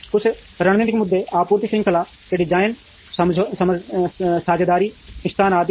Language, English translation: Hindi, Some of the strategic issues are design of the supply chain, partnering, location and so on